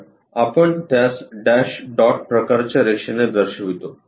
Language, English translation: Marathi, So, we show it by a dash dot kind of line